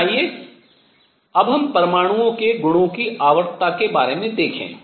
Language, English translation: Hindi, But let us see now for the periodicity of properties of atoms